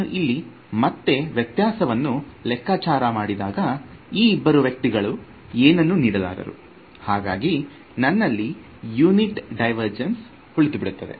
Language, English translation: Kannada, So, when I calculate the divergence over here again these two guys are going to contribute nothing and I am left with it has unit divergence